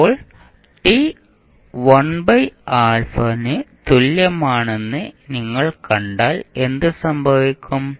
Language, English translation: Malayalam, Now, if you see at time t is equal to 1 by alpha what will happen